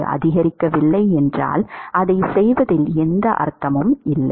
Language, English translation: Tamil, If it is not going to maximize then there is no point in doing that